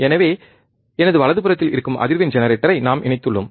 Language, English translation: Tamil, So, we have just connected the frequency generator which is here on my, right side, right